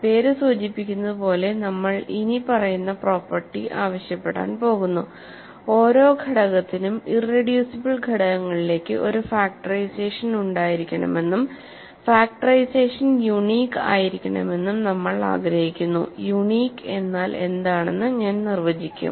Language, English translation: Malayalam, So, as the name suggests we are going to ask for the following property, we want every element to have a factorization into irreducible elements and that factorization should have should be unique essentially unique, I will define what unique means